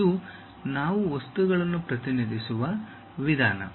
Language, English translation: Kannada, This is the way we represent materials